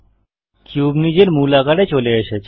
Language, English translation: Bengali, The cube is back to its original size